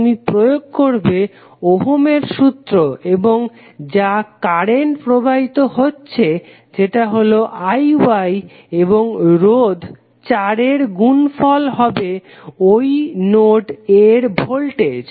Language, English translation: Bengali, You will use Ohm's law and whatever the current is flowing that is I Y and multiplied by the resistance 4 would be the voltage at node A